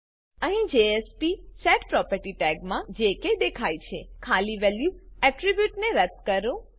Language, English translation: Gujarati, Here in the jsp:setProperty tag that appears, delete the empty value attribute